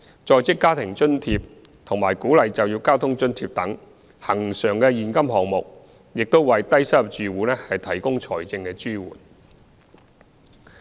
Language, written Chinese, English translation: Cantonese, "在職家庭津貼"和"鼓勵就業交通津貼"等恆常現金項目亦為低收入住戶提供財政支援。, Other recurrent cash schemes such as the Working Family Allowance Scheme and the Work Incentive Transport Subsidy Scheme also provide financial support to low - income households